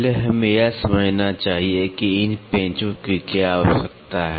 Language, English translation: Hindi, First we should understand, what is the necessity for these screws